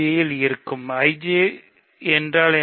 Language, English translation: Tamil, So, that is one element of I J